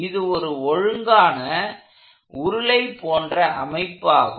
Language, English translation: Tamil, Now this is a regular body, it is a cylinder